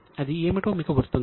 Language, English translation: Telugu, Do you remember what it is